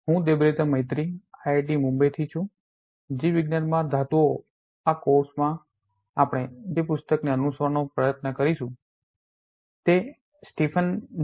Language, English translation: Gujarati, I am Debabrata Maiti from IIT Bombay, the book we are trying to follow from this course metals in biology is that of principles of bioinorganic chemistry by Stephen J